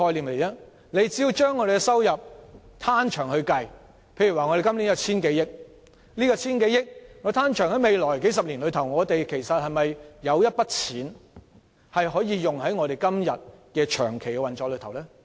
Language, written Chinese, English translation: Cantonese, 我們只須將收入"攤長"，例如今年有千多億元，如果將這筆錢攤長至未來數十年，我們今天可否撥出部分金額作長期運作之用呢？, All we need to do is amortize the revenue over a long period of time . For example we have some 1,000 billion this year . If the sum is to be amortized over the next few decades can we allocate part of it to support long - term operation?